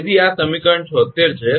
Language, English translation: Gujarati, So, this is equation 76